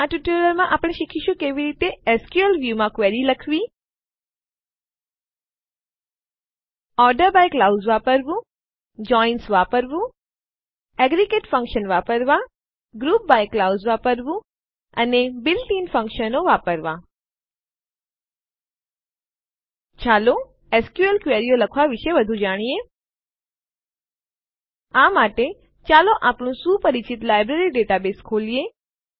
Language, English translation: Gujarati, In this tutorial, we will learn how to Write Queries in SQL View Use ORDER BY clause Use JOINS Use Aggregate functions Use the GROUP BY clause And to use built in Functions Let us learn more about writing SQL queries For this, let us open our familiar Library database